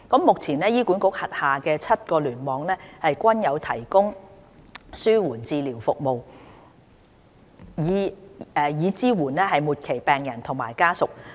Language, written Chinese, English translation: Cantonese, 目前，醫管局轄下7個聯網均有提供紓緩治療服務，以支援末期病人和家屬。, Currently palliative care services are provided by HA in all seven clusters to support terminally - ill patients and their families